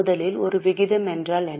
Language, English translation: Tamil, First of all what is a ratio